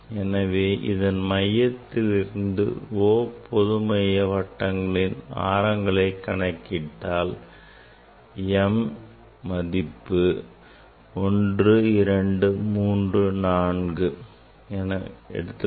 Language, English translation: Tamil, now, the radius of the radius of the circle concentric circle are is m, m is 1 2 3 4